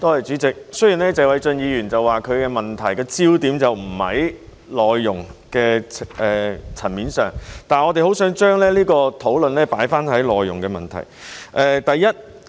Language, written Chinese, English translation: Cantonese, 主席，雖然謝偉俊議員說這項質詢的焦點並非在內傭的層面上，但我們希望將這項討論放在內傭的問題。, President although Mr Paul TSE said that the focus of this question was not on MDHs we wish to focus the discussion on the problem of MDHs